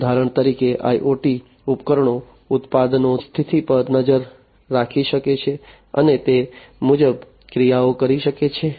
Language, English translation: Gujarati, For example, IoT devices can keep track of the status of the products and perform the actions accordingly